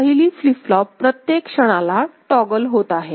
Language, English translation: Marathi, The first flip flop is toggling at every instance right